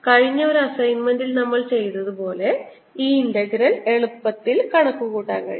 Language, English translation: Malayalam, and this integral can be easily calculated as we're done in the assignment in the past